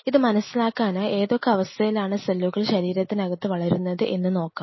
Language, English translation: Malayalam, In order to address this point first of all we have to understand under what conditions of cells grow inside the body